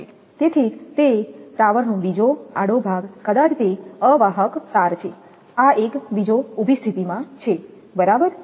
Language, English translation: Gujarati, So, another cross arm from the same tower maybe it is a string insulator, vertical position this is another one right